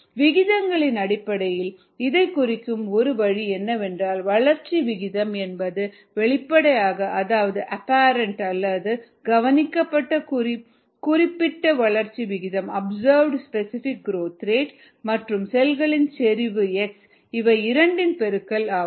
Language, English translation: Tamil, a way of representing this in terms of rates is the rate of growth equals at apparent specific growth rate and observed specific growth rate times is cell concentration x